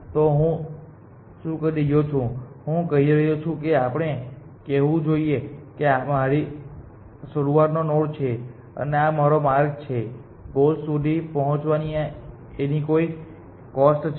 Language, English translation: Gujarati, So, what I am saying I am saying that let us say this is my start node, and this is my paths to the goal it has some cost essentially